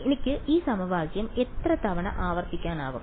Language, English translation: Malayalam, How many times can I repeat this process